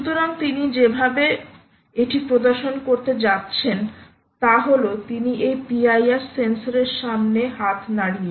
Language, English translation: Bengali, so the way she is going to demonstrate this is she is going to waver hand in front of this p i r sensor